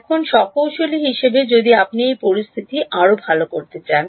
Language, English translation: Bengali, Now as an engineer if you wanted to make that situation better ok